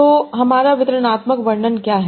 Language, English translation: Hindi, So what is my distributed representation